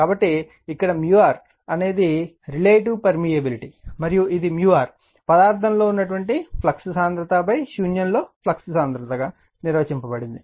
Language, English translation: Telugu, So, mu where mu r is the relative permeability and is defined as mu r is equal to flux density in the material divided by flux density in a vacuum right